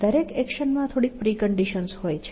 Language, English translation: Gujarati, Every action has a few pre conditions